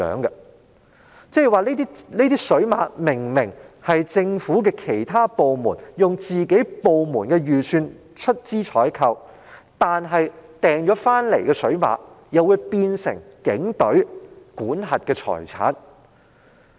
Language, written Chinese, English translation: Cantonese, 那即是說，這些水馬明明是其他政府部門以本身預算出資採購的物品，但購入的水馬卻竟變成警隊管轄的財產。, In other words although these water barriers are undeniably goods items purchased by other government departments with their own financial resources they have become properties that are under the control of the Police Force